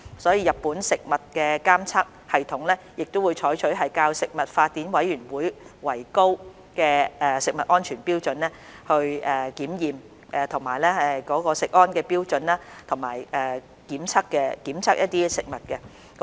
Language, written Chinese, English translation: Cantonese, 所以，日本食物的監測系統會採取較國際食品法典委員會所訂的食物安全標準為高的食安標準來檢驗食物。, Therefore a food safety standard higher than the standard laid down by the Codex Alimentarius Commission has been adopted in the monitoring system on Japanese food for testing food products